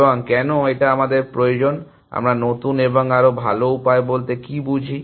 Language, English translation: Bengali, And why do we need, what do we mean by newer and better ways